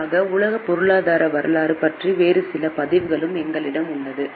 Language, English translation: Tamil, We also have some other records, particularly about world economic history